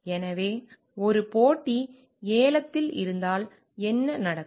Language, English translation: Tamil, So, what happens if in a competitive bidding